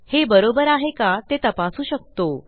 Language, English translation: Marathi, We can check if its correct